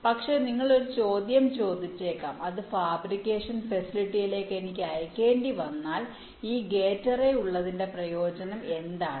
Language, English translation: Malayalam, but you may ask the question that will: if i have to sent it with the fabrication facility, then what is the advantage of having this gate array